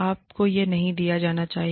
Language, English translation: Hindi, You should not be given, this